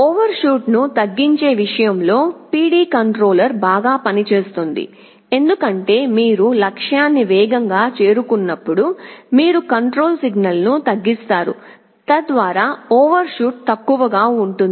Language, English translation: Telugu, PD controller works better in terms of reducing overshoot because as you are approaching the goal faster, you reduce the control signal so that overshoot will be less